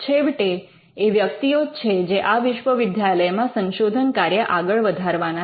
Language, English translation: Gujarati, So, at the end of the day it is the people in the university who are going to do this research